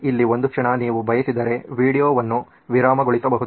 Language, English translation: Kannada, A moment here you can pause the video if you want